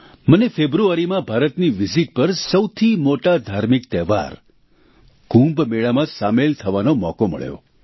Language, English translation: Gujarati, I had the opportunity to attend Kumbh Mela, the largest religious festival in India, in February